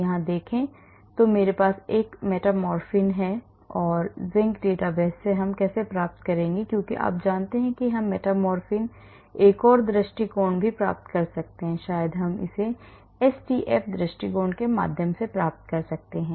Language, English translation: Hindi, look at this, so I have this metformin how do I get metformin Zinc database as you know we can get metformin another approach maybe we can do it through the SDF approach